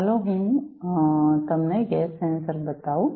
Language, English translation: Gujarati, Let us show you let me show you the gas sensor